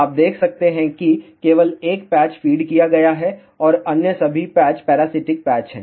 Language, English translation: Hindi, You can see that only 1 patch has been fed and all other patches are parasitic patches